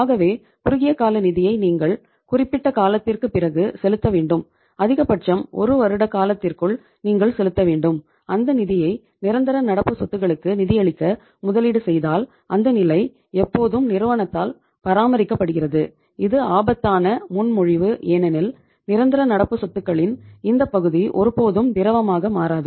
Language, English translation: Tamil, So it means short term funds which you have to pay after some period of time, maximum within a period of 1 year if you are investing those funds in to fund the permanent current assets which level is always maintained by the firm in that case is little risky proposition because these this part this particular region of the permanent current assets that will never become liquid